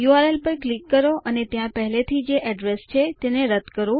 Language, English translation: Gujarati, Click on the URL and delete the address that is already there